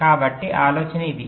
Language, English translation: Telugu, ok, so the idea is this